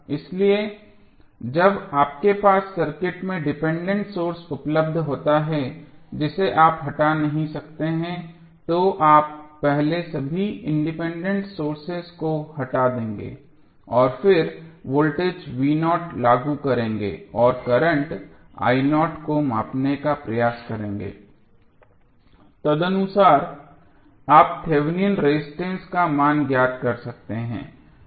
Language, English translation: Hindi, So, when you have dependent source available in the circuit which you cannot remove you will first remove all the independent sources and then apply voltage v naught and try to measure the current i naught and accordingly you can find out the value of Thevenin resistance